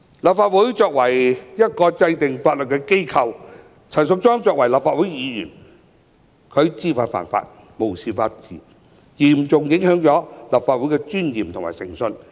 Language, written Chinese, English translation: Cantonese, 立法會作為制定法律的機構，陳淑莊議員作為立法會議員卻知法犯法、無視法治，嚴重影響立法會的尊嚴和誠信。, The Legislative Council is a law - making institution and Ms Tanya CHAN being a Legislative Council Member however has deliberately broken the law and is oblivious to the rule of law seriously affecting the dignity and integrity of the Legislative Council